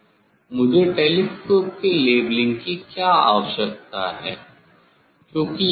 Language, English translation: Hindi, Why I need leveling of the telescope